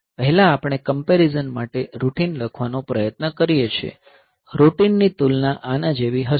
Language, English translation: Gujarati, So, first we try to write the routine for compare; so, the compare routine will be something like this